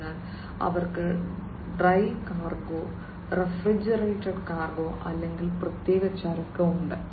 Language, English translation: Malayalam, So, they have the dry cargo, refrigerated cargo or special cargo